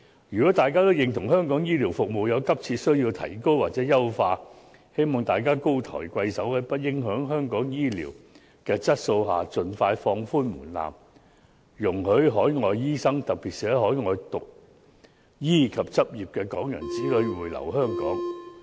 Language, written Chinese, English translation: Cantonese, 如果大家都認同香港醫療服務有急切需要提高或優化，我希望大家高抬貴手，在不影響香港醫療質素的情況下，盡快放寬門檻，容許海外醫生，特別是在海外讀醫及執業的港人子女回流香港。, Should Members agree that there is a pressing need to enhance or improve medical services in Hong Kong I hope that Members will without affecting the quality of medical services in Hong Kong show mercy by expeditiously relaxing the threshold for allowing overseas doctors to practise in Hong Kong and in particular Hong Kong peoples children who are overseas medical graduates and practitioners to return and practise in Hong Kong